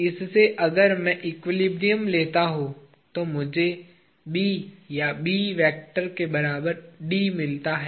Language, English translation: Hindi, From this if I take the equilibrium, I get B bar or B vector is equal to D vector